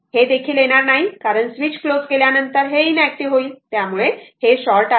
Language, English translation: Marathi, It will not come because after swit[ch] closing the switch this is becoming inactive right it is shorted